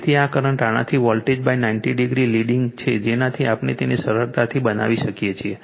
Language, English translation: Gujarati, So, this current is leading the voltage by 90 degree from this from this we can make it out easily right